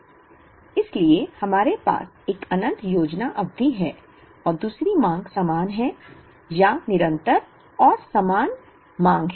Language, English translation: Hindi, So, we have an infinite planning period and 2nd is demand is the same, or constant and uniform demand